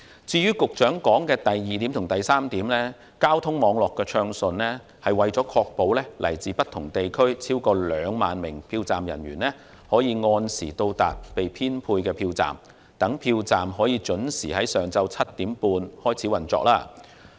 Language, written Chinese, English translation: Cantonese, 至於局長提到的第二及三點，交通網絡暢順是為了確保來自不同地區的超過2萬名票站人員可按時到達被編配的票站，使票站得以準時在上午7時半開始運作。, As for the second and the third conditions set out by the Secretary smooth traffic movements have to be maintained to ensure that over 20 000 polling staff from various districts throughout the territory will arrive at the assigned polling stations on time so that the operation of all polling stations will begin punctually at 7col30 am